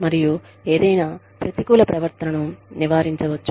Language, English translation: Telugu, And, any further negative behavior, can be prevented